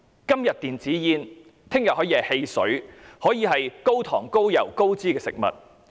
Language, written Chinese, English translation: Cantonese, 今天禁止電子煙，明天可以禁止汽水和高糖、高油、高脂的食物。, When e - cigarettes are banned today soft drinks and foods with high - sugar high - oil and high - fat contents can be banned tomorrow